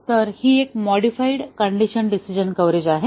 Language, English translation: Marathi, So, this is a modified condition decision coverage